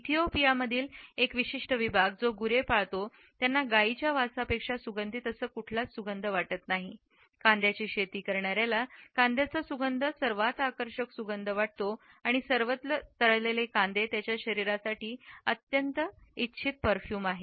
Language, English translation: Marathi, A particular section in Ethiopia, which raises cattles, finds that there is no scent which is more attractive than the odor of cows, for the Dogon of Mali the scent of onion is the most attractive fragrance and there are fried onions all over their bodies is a highly desirable perfumes